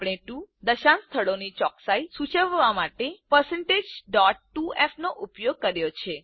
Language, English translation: Gujarati, We have used %.2f to denote a precision of 2 decimal places